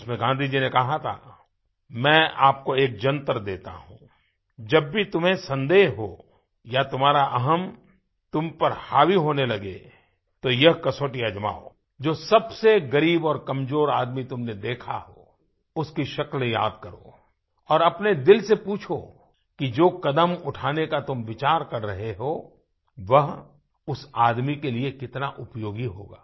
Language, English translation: Hindi, In that, Gandhiji had said, "I give you one mantra, whenever you are in doubt or whenever your ego gets over your personality, undergo this test; remember the face of the poorest or the weakest person that you have seen, recall his looks and ask your inner self how useful your intended step would be for that person